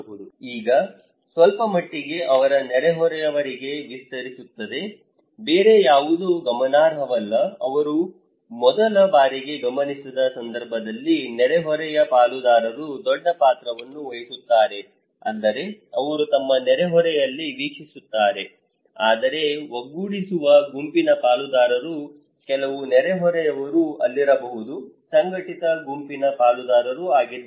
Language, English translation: Kannada, Now, a little bit extends to their neighbour, no other are significant, in case of observations where they first time observed, it is the neighbourhood partners who played a big role that means, they watch in their neighbourhood but also the cohesive group partners like could be that some of the neighbours are there, cohesive group partners